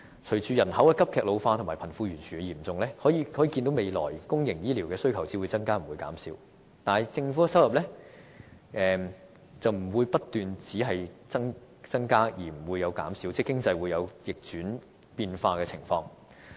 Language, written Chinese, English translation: Cantonese, 隨着人口急劇老化和貧富懸殊的嚴重，可見未來公營醫療的需求只會增加不會減少，但政府的收入不會只不斷增加而不減少，因為經濟是會有逆轉變化的情況。, With rapid population ageing and widening gap between the rich and the poor demand for public health care in the foreseeable future will only increase yet the Governments revenue will not always be on the rise as there are times when the economy turns its tide